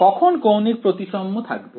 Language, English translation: Bengali, When will there be angular symmetry